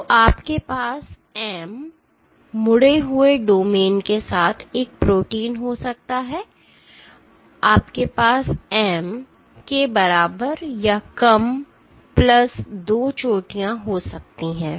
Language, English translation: Hindi, So, you can have for a protein with ‘M’ folded domains, you can have less or equal to M plus 2 peaks